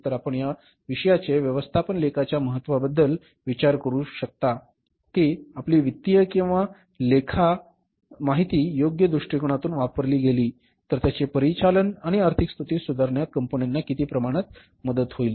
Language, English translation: Marathi, So, you can think about the importance of this subject management accounting that how your financials or accounting information if we used in the right perspective then how to what extent it can help the firms to improve its overall operating at the financial position